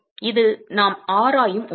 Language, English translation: Tamil, So, that is something that we will examine